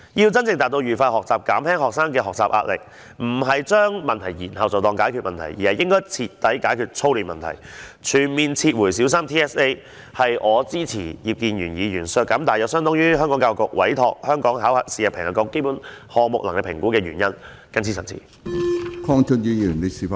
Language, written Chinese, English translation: Cantonese, 要真正達致愉快學習，減輕學生的學習壓力，不是將問題延後便當作解決了問題，而應徹底解決操練問題，全面撤回小三 TSA， 這是我支持葉建源議員削減大約相當於教育局委託香港考試及評核局進行基本能力評估項目的全年預算開支的原因。, If we are to achieve happy learning and alleviate the pressure of learning on students deferring the problem to a later stage cannot be considered a genuine solution . Instead we should address the problem of drilling students by completely rescinding TSA for primary three students . This is the reason why I support Mr IP Kin - yuens proposed amendment which seeks to reduce the estimated expenditure of the Hong Kong Examinations and Assessment Authority in TSA